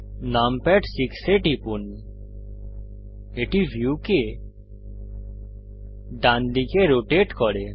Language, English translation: Bengali, Press num pad 6 the view rotates to the right